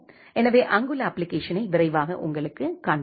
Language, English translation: Tamil, So, I will quickly show you the application which is there